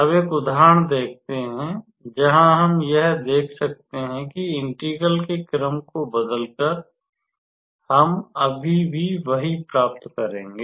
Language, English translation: Hindi, Now, let us work out an example where we can see that by changing the order of integration, we will still obtain the same answer